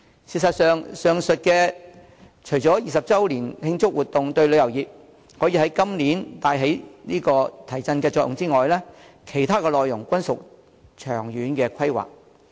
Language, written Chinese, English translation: Cantonese, 事實上，上述除回歸20周年的慶祝活動可於今年對旅遊業帶來提振作用之外，其他內容均屬長遠規劃。, As a matter of fact apart from the events proposed for the celebration of the 20 anniversary of Hong Kongs return to the Motherland which can create a stimulus effect for the tourism industry in the coming year long - term planning would be required for other initiatives